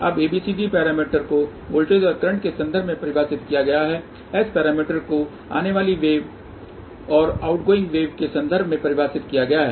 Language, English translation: Hindi, Now, ABCD parameters are defined in terms of voltages and currents, S parameters are defined in terms of incoming wave and outgoing wave